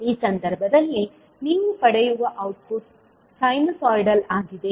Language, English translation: Kannada, The output which you will get in this case is sinusoidal